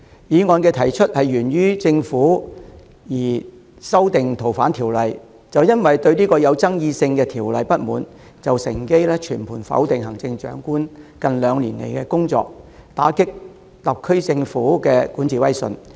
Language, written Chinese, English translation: Cantonese, 反對派提出這項議案源於政府擬修訂《逃犯條例》，就因為他們不滿相關具爭議性的修訂建議，便趁機全盤否定行政長官近兩年來的工作，打擊特區政府的管治威信。, This opposition - sponsored motion stems from the amendments to the Fugitive Offenders Ordinance FOO proposed by the Government . Driven by nothing but their resentment to the controversial amendment proposal the opposition seizes the opportunity to dismiss out of hand the work undertaken by the Chief Executive in the last two years and undermine the prestige of the SAR Government in governance